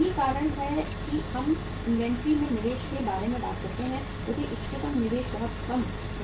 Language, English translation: Hindi, That is why we talk about investment in the inventory which is the optimum investment not too less not too high